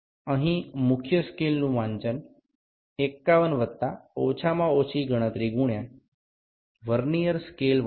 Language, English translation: Bengali, The main scale reading here is 51 plus least count into Vernier scale reading